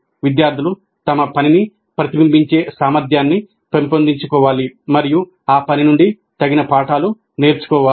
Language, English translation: Telugu, Students must develop the capacity to reflect on their work and draw appropriate lessons from that work